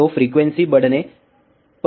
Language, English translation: Hindi, So, what happens, as frequency increases